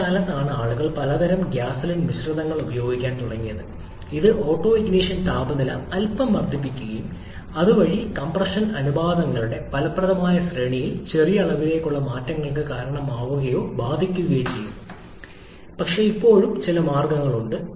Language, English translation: Malayalam, Nowadays, people use several kinds of gasoline blends etc which has been able to increase the autoignition temperature a bit and thereby causing or affecting some small amount of change in the effective range of compression ratios but still some way to give